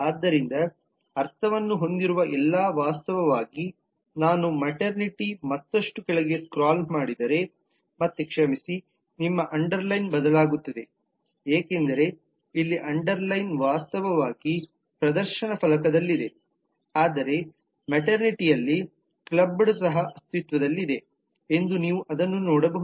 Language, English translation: Kannada, so all that have meaning is in fact if i just scroll down further in maternity again i am sorry your underlining will change because here the underline is actually on the display panel, but you can see that clubbed also exist in maternity